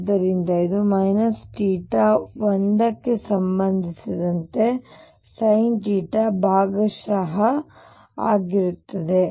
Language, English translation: Kannada, So, this becomes minus theta 1 over sin theta partial with respect to phi